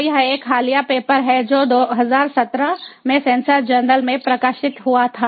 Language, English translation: Hindi, so this is a recent paper that was published in two thousand seventeen in the sensors journal